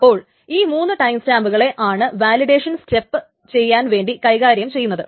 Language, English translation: Malayalam, So three timestamps are maintained to do the actual validation step